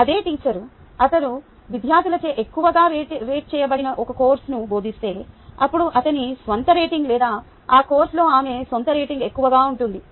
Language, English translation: Telugu, same teacher: if a teachers a course which is rated highly by the students, then his own rating or her own rating in that course can be higher